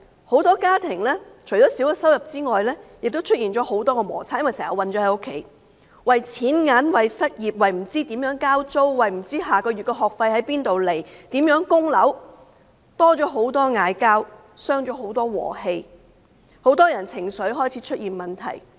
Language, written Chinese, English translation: Cantonese, 很多家庭除了收入減少外，亦出現了很多摩擦，因為經常困在家裏，為錢銀、為失業、為不知如何交租、為不知下個月的學費可以從哪裏來、為如何供樓等，多了吵架，大傷和氣，很多人的情緒開始出現問題。, Apart from reduction in income lots of friction have emerged in many families because people are often stuck at home . They bicker more and hurt each others feelings over such questions as money unemployment how they can pay the rent where they can get money to pay the school fee next month how they can settle mortgage instalments for their properties so on and so forth . Many people start to have emotional problems